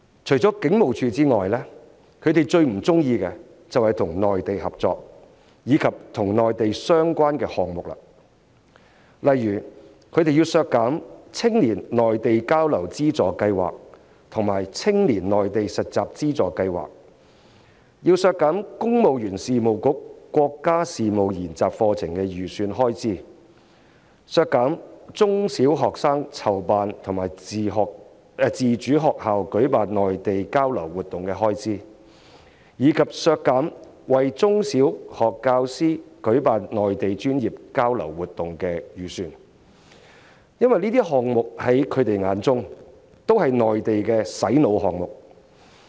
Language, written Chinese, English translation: Cantonese, 除了警務處外，他們最不喜歡就是與內地合作及與內地相關的項目，例如他們要求削減青年內地交流資助計劃及青年內地實習資助計劃的預算開支、削減公務員事務局國家事務研習課程的預算開支、削減中小學生籌辦或資助學校舉辦內地交流活動的預算開支，以及削減為中小學教師舉辦內地專業交流活動的預算開支，因為這些項目在他們的眼中均是國內的"洗腦"項目。, Apart from HKPF the items they dislike are those in cooperation with the Mainland especially those related to the Mainland . For instance they propose to reduce the estimated expenditures on the Funding Scheme for Youth Exchange in the Mainland the Funding Scheme for Youth Internship in the Mainland national studies courses of the Civil Service Bureau Mainland exchange programmes for primary and secondary students or subsidies for those programmes organized by schools and professional Mainland exchange programmes for primary and secondary teachers . For the opposition Members all these are brainwashing programmes organized by China